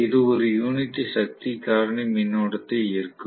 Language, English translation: Tamil, It will draw a unity power factor current